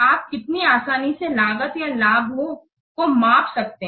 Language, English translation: Hindi, How easily you can measure the cost or the benefits